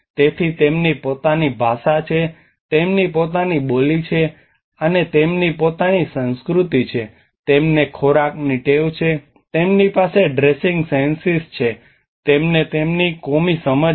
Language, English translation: Gujarati, So they have their own language, they have their own dialect, they have their own culture, they have food habits, they have their dressing senses, they have their communal understanding